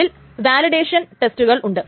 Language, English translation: Malayalam, There is something called a validation test